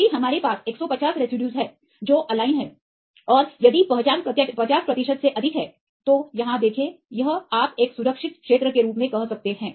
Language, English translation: Hindi, If we have 150 residues which are aligned, and if the identity is more than 50 percent likewise like see here, this you can say as a safe zone